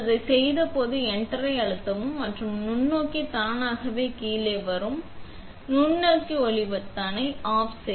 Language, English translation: Tamil, Then you press enter when you did that, and the microscope will automatically come down because we have the BSA microscope light button off